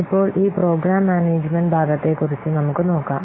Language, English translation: Malayalam, Now let's see about this program management part